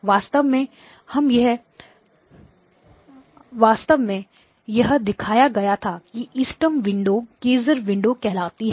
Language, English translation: Hindi, Actually it was shown that the optimal window is something called the Kaiser window